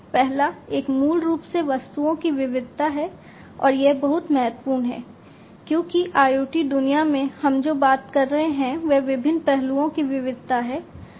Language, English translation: Hindi, The first one is basically the diversity of the objects, and this is very key because in the IoT world what we are talking about is diversity of different aspects